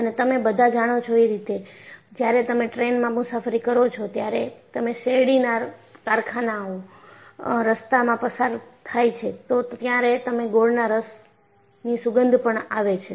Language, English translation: Gujarati, And you all know, when you travel in a train, if you cross the sugar cane factory, you have the smell of molasses